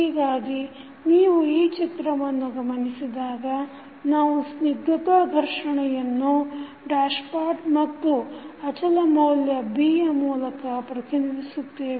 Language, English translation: Kannada, So, if you see this figure we represent the viscous friction with the dashpot and the constant value is B